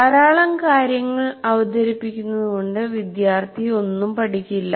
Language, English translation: Malayalam, By keeping on presenting a lot of material, the student doesn't learn